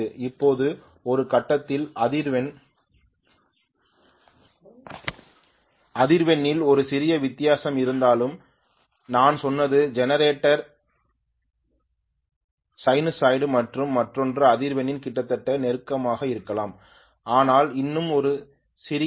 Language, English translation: Tamil, Now at some point even if there is a small difference in frequency as I told you this is my generator sinusoid and maybe the other one is almost close in frequency but still there is a small variation may be